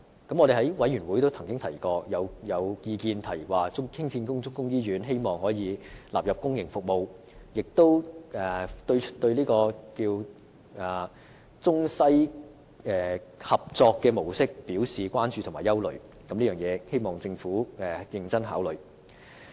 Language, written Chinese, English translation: Cantonese, 在過去的會議上亦曾經有意見提出，希望新興建的中醫院可以納入公營服務，同時亦對中西合作模式表示關注和憂慮，希望政府認真考慮。, In past meetings there were views expressing the wish for this new Chinese medicine hospital to be incorporated into the public sector and there were also concerns and worries about the model of collaboration between Chinese and Western medical practitioners . I hope the Government can take these into consideration seriously